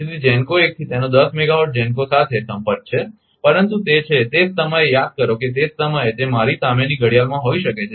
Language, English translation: Gujarati, So, from GENCO 1 it has contact 1 megawatt GENCO, but it is at the same time remember at the same time may be a at the watch in front of me it is